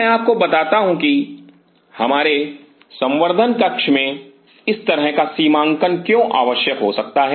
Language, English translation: Hindi, I will tell you why such demarcation may be very essential in our culture room